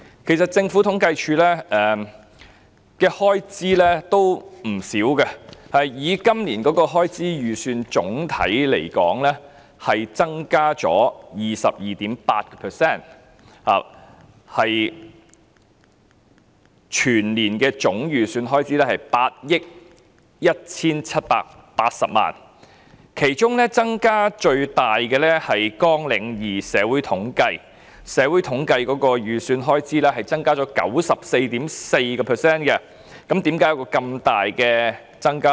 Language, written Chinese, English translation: Cantonese, 其實政府統計處的開支亦不少，以今年的開支預算來說，總體增加了 22.8%， 全年總預算開支為8億 1,780 萬元，其中加幅最大的是"綱領2社會統計"，預算開支增加 94.4%， 為何會有這麼大的增幅？, In fact the Census and Statistics Department CSD incurs a considerable expenditure as well . The expenditure estimate for this year shows an increase of 22.8 % on the whole whereas the total expenditure for the whole year is estimated at 817.8 million . The expenditure estimate on Programme 2 Social Statistics has increased by 94.4 % which is the largest rate of increase among all programmes